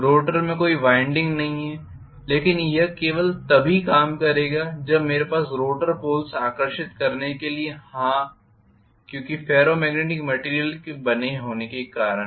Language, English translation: Hindi, No winding is there in the rotor but this will work only if I have the rotor poles to be attracted because of them being made up of Ferro magnetic material